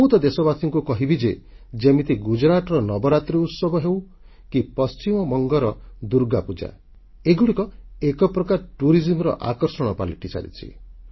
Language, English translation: Odia, And I would like to mention to my countrymen, that festivals like Navaratri in Gujarat, or Durga Utsav in Bengal are tremendous tourist attractions